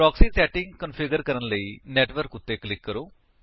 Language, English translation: Punjabi, Click on Network to configure the proxy settings